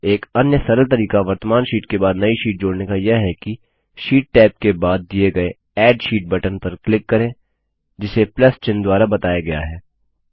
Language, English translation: Hindi, Another simple way of inserting a sheet after the current sheet is by clicking on the Add Sheet button, denoted by a plus sign, next to the sheet tab